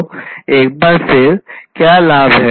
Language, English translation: Hindi, So, what are the benefits once again